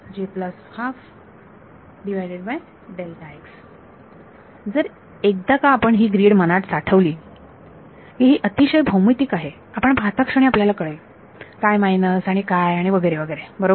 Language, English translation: Marathi, So, once you keep this grid in mind it is very geometric you can just see what minus what and so, on right